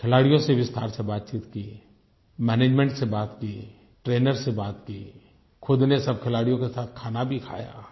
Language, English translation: Hindi, He had a word with the management and trainers; he himself ate with the sportspersons